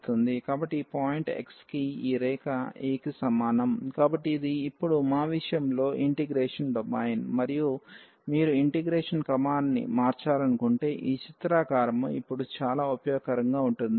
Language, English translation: Telugu, So, this line to this point x is equal to a; so, this is the domain of integration in our case now, and if you want to change the order of integration